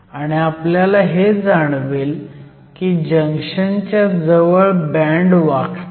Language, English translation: Marathi, And, at the junction or near the junction will find that the bands bend